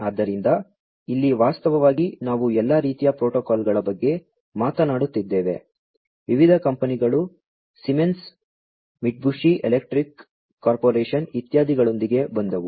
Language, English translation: Kannada, So, here actually we are talking about all different types of protocols, different companies came up with Siemens, you know, Mitsubishi electric corporation etcetera